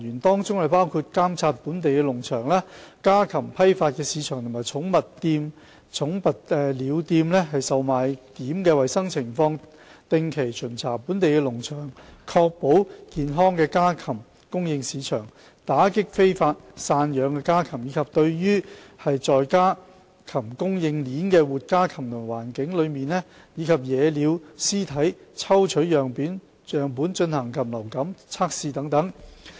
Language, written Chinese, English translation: Cantonese, 當中包括監察本地農場、家禽批發市場及寵物鳥售賣點的衞生情況；定期巡查本地農場，以確保健康的家禽供應市場；打擊非法散養家禽；及對在家禽供應鏈的活家禽及環境中，以及野鳥屍體抽取樣本進行禽流感測試等。, The work included carrying out surveillance of the hygiene condition of local farms wholesale poultry market and pet bird shops conducting regular inspections of local farms to ensure supply of healthy poultry in the market combating illegal keeping of backyard poultry and taking samples from the live poultry supply chain the environment and wild bird carcasses for avian influenza tests